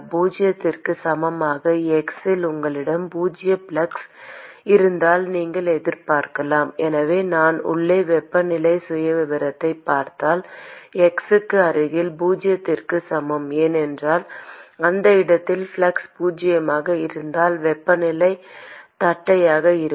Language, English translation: Tamil, At x equal to zero if you have zero flux, then you would expect that the so if I look at the temperature profile inside near x equal to zero, because the flux is zero at that location, you will see that the temperature is going to be flat